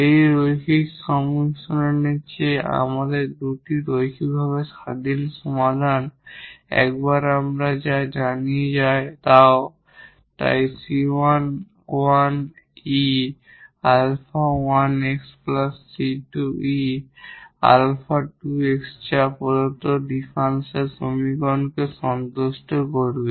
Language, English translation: Bengali, What we also know once we have two linearly independent solutions than this linear combinations, so alpha 1 e power also c 1 e power alpha 1 x and plus the another constant times e power alpha 2 x that will also satisfy this given differential equation